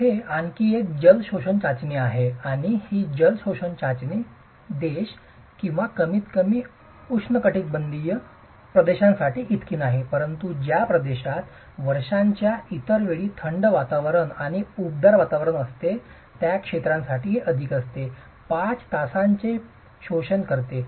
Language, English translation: Marathi, There is another water absorption test and this water absorption test is not so much for countries or at least the tropical regions, it is more for regions where you have extreme cold weather and warm climates during other times of the year